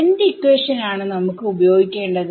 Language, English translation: Malayalam, What equation do we want to use